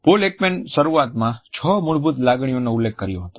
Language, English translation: Gujarati, Paul Ekman had initially referred to six basic emotions